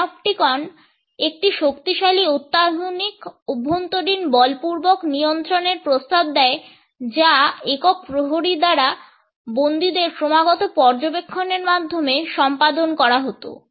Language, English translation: Bengali, The Panopticon offered a powerful and sophisticated internalized coercion, which was achieved through the constant observation of prisoners by a single sentry